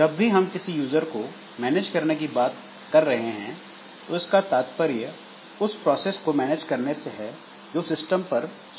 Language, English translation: Hindi, So, whenever we are talking about managing the user programs, we are essentially talking about managing the processes that are running in the system